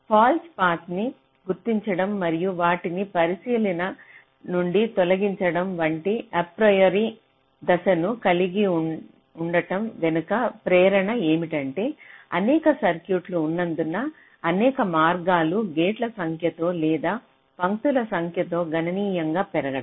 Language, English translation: Telugu, now, another motivation behind having ah this apriory step of detecting false path and and removing them from the consideration is that there are many circuits where number of paths can grow exponentially with the number of gates or in number of lines